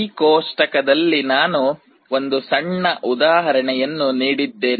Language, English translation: Kannada, In this table I have given a very small example